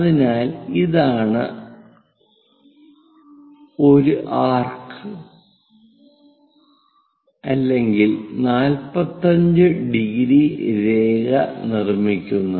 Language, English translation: Malayalam, So, if this is the one make an arc or 45 degrees line, also we can really do that